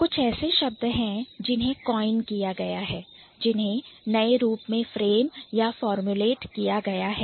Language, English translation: Hindi, There are certain words which have been coined which has been newly framed or formulated